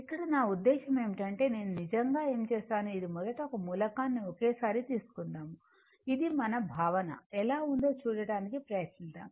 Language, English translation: Telugu, Here, we have to I mean, what I have done actually, this first taken one single element at a time such that, we will try to see our concept how is it right